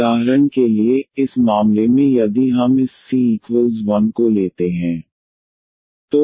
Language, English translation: Hindi, So, for instance in this case if we take this c is equal to 1